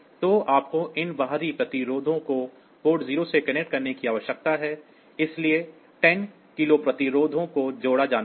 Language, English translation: Hindi, So, you need to connect these external resistances to port 0; so, 10 kilo resistances are to be connected